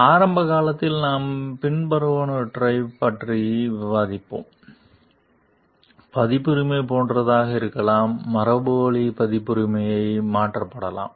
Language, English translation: Tamil, Early we will discuss like, copyright can be like, inherited copyright can be transferred also